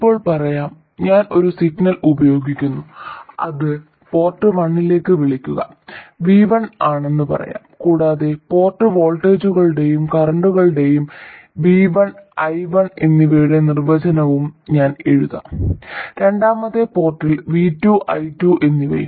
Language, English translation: Malayalam, Now let's say that I apply a signal, let's say it is called V1 to port 1 and I'll also write down the definition of port voltages and currents, V1 and I1 and V2 and I2 in the second port and let's say that we take the output from the second port